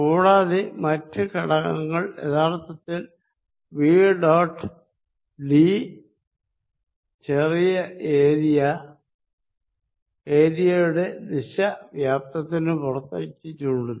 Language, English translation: Malayalam, And other components is actually nothing but v dot d small area where the direction of area is equal to pointing out of the volume